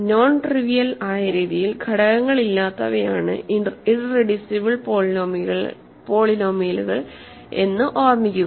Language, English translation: Malayalam, Remember, irreducible polynomials are those that do not factor in a non trivial way